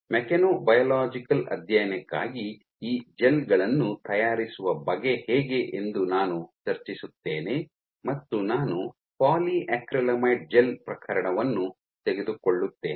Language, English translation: Kannada, So, I will just discuss as to how you go about making these gels for mechanobiological study I will take the polyacrylamide gel case